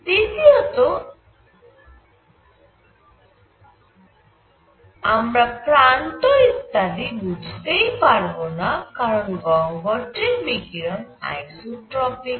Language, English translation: Bengali, Number 2; you cannot make out the edges, etcetera, inside the cavity because the radiation is isotropic